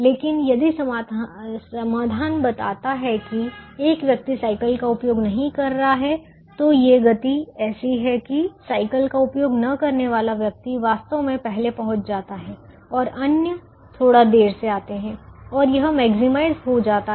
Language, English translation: Hindi, but if the solution shows that one person is not using the cycle at all, the these speeds are such that the person not using the cycle actually reaches first and the others come slightly late and it's maximize